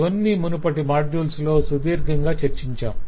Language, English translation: Telugu, we have discussed these things at length in the earlier modules